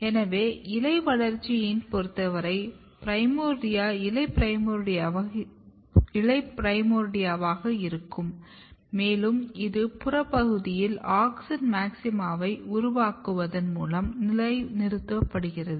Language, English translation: Tamil, So in case of leaf development the primordia is going to be leaf primordia and this is positioned by generating auxin maxima in the peripheral region